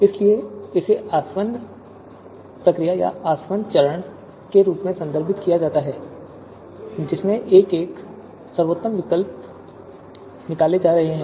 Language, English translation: Hindi, So that is why this is referred as the distillation you know procedure or distillation phase wherein you know best alternatives are being extracted one by one